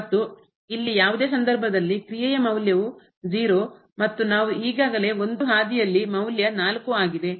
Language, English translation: Kannada, And in any case here the value of the function is 4 and we have already seen along this path the value is 4